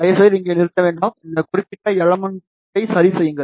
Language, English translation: Tamil, Please do not stop over here, take this particular element ok